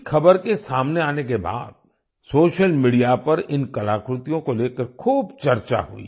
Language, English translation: Hindi, After this news came to the fore, there was a lot of discussion on social media about these artefacts